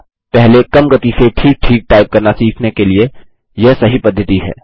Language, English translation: Hindi, It is a good practice to first learn to type accurately at lower speeds